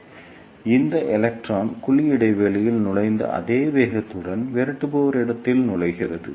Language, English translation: Tamil, So, this electron will enter in the repeller space with the same velocity with which it entered in the cavity gap